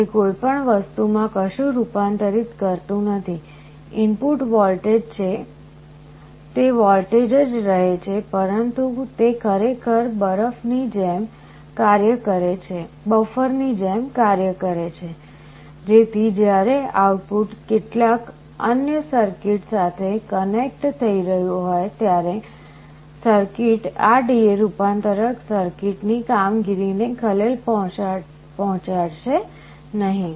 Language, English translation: Gujarati, It does not convert anything to anything, input is voltage it remains a voltage, but it actually acts like a buffer, so that when the output is connecting to some other circuit that circuit should not disturb the operation of this D/A converter circuit